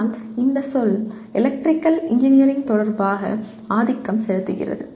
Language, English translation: Tamil, But this terminology is dominantly with respect to Electrical Engineering